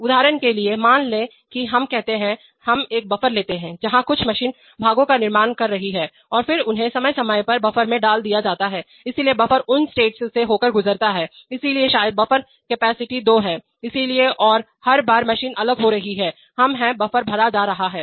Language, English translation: Hindi, So for example suppose let us say, let us take a buffer where some machine is producing parts and then putting them in the buffer and the buffer from time to time gets emptied, so the states through which the buffer goes, so maybe the buffer capacity is two, so and every time the machine is dropping apart, we are the, the buffer is getting filled